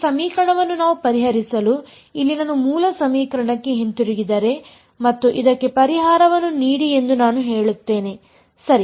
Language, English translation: Kannada, In order for us to solve this equation if I just go back to the original equation over here and I say give me a solution to this right